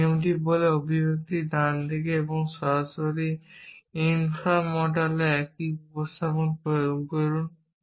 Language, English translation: Bengali, This rule says apply the same substitution to the right hand side of the expression and directly infra mortal